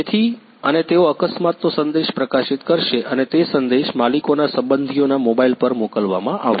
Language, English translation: Gujarati, So, and they will send publish the message of the accident and it will the message will be sent to the mobile of the owners relatives